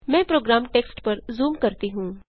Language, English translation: Hindi, Let me zoom into the program text